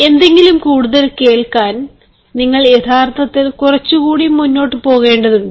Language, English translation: Malayalam, in order to make something listen, you actually need to go an extra mile